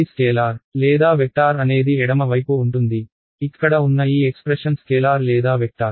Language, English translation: Telugu, Just a quick check is this a scalar or a vector is the left hand side, is this expression over here is this a scalar or a vector